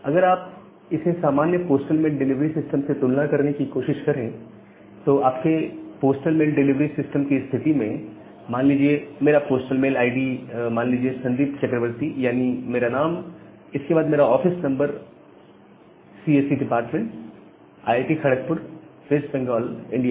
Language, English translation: Hindi, So, if you try to compare it with the normal postal mail delivery system, so, in case of your postal mail delivery system, say if my postal mail id is that say Sandip Chakraborty, that means, my name followed by say my office number, then department of CSE IIT, Kharagpur, West Bengal, India